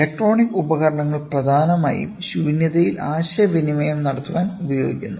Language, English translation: Malayalam, Electronic devices predominantly we try to communicate in vacuum